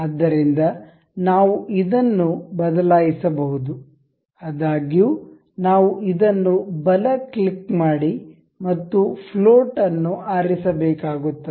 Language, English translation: Kannada, So, we can change this; however, we will have to right click this and select float